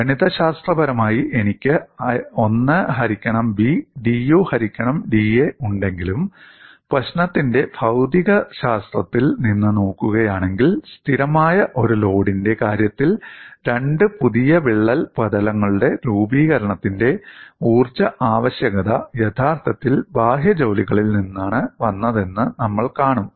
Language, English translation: Malayalam, Though I have 1 by B dU by da mathematically, if you look at from physics of the problem, in the case of a constant load, we would see the energy requirement for the formation of two new crack surfaces has actually come from the external work